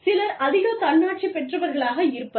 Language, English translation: Tamil, Some people, are more autonomous